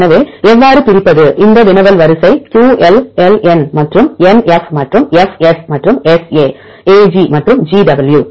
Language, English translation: Tamil, So, how to divide this query sequence QL LN and NF and FS and SA AG and GW